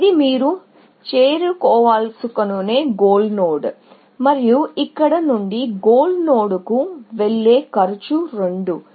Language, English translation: Telugu, Let us say, this is goal node that you want to reach, and the cost of going to goal node from here, is 2